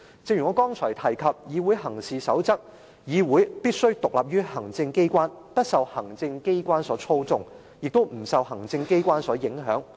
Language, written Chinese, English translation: Cantonese, 正如我剛才提及的《議會行事守則手冊》所指，議會必須獨立於行政機關，不受行政機關所操縱，亦不受行政機關所影響。, It is pointed out in A Guide to Parliamentary Practice A Handbook which I mentioned earlier that a parliament must be independent of the executive neither be manipulated nor affected by the executive